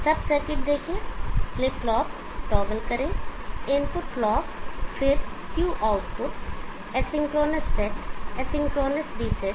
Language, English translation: Hindi, See sub circuit toggle flip flop, the inputs clock, then Q, output AC could not set, AC could not reset